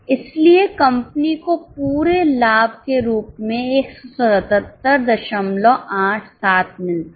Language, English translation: Hindi, So, company as a whole gains by 177